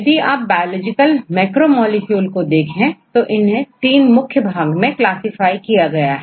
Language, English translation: Hindi, So, if you look into this biological macromolecules they classified into 3 major groups; what are the 3 major biological macromolecules